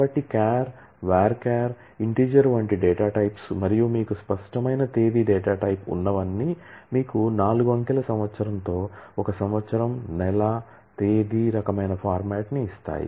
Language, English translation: Telugu, So, in addition to the data types like char, varchar, int and all that you have an explicit date data type which gives you a year, month, date kind of format with a four digit year